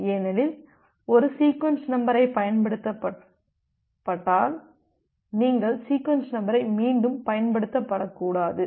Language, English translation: Tamil, Because once one sequence number is being used, you should not reuse the sequence number anymore